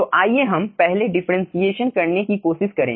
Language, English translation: Hindi, so let us try to do the differentiation first